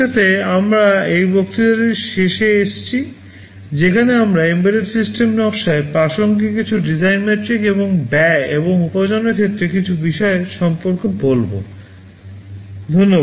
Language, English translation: Bengali, With this we come to the end of this lecture where we talked about some of the design metrics that are relevant in embedded system design, and some of the implications with respect to the cost and revenue